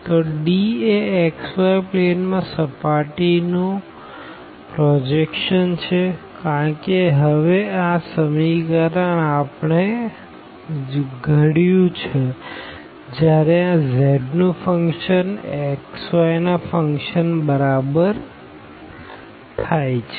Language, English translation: Gujarati, So, D is the projection of the surface in the xy plane and similarly because this equation we have formulated when the function was given as this z is equal to a function of xy